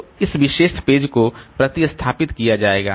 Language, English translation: Hindi, So, this particular page will be replaced